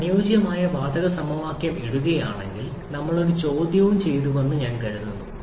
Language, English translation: Malayalam, If you put the ideal gas equation, I think we did one exercise also